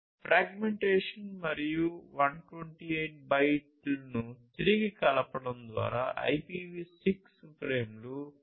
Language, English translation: Telugu, Using fragmentation and reassembly 128 byte IPv6 frames are transmitted over 802